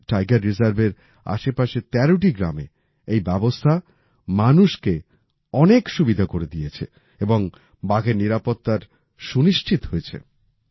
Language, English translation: Bengali, Today, this system has provided a lot of convenience to the people in the 13 villages around this Tiger Reserve and the tigers have also got protection